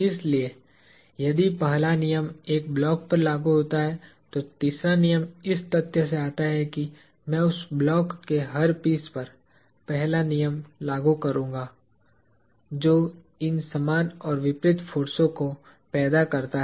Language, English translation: Hindi, So, if the first law is applicable to a block, then the third law comes from the fact that, I will apply the first law to every piece of that block, which produces these equal and opposite forces